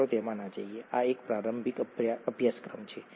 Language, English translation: Gujarati, Let’s not get into that, this is an introductory course